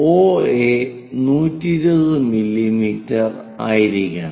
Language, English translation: Malayalam, OA supposed to be 120 mm